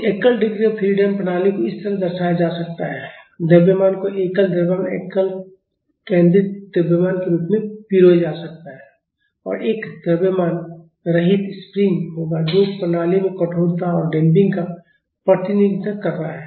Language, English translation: Hindi, So, the single degree of freedom system can be represented like this – mass can be lumped as a single mass single concentrated mass and there will be a massless spring which is representing the stiffness in the system and the damping